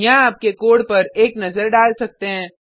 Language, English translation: Hindi, You can have a look at the code here